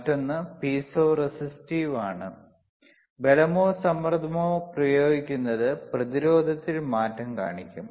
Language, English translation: Malayalam, Another one is piezo resistive, applying force or pressure will show change in resistance,